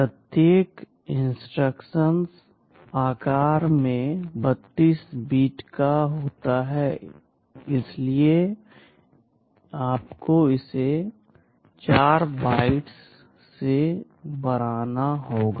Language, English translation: Hindi, Each instruction is of size 32 bits, so you will have to increase it by 4 bytes